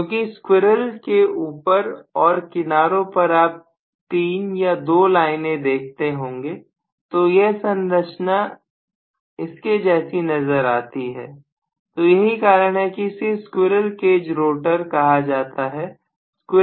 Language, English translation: Hindi, Because on the top of the squirrel at the back side of the squirrel you see 3 lines or 2 lines whatever, so it is essentially similar to that structure so that is the reason why it is known as squirrel cage rotor okay